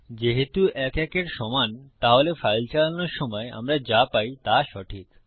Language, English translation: Bengali, If 1 is not equal 1, what we should get when we run our file is False